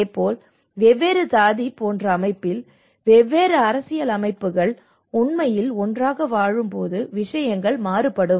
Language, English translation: Tamil, And similarly in a system like different cast systems, different political systems when they are actually living together